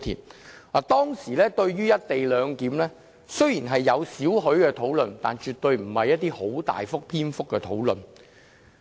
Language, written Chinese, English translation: Cantonese, 雖然當時對"一地兩檢"有少許討論，但絕對不是很大篇幅的討論。, During the discussion there was some coverage on the co - location arrangement but this was not in great length